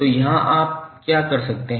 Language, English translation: Hindi, So here what you can do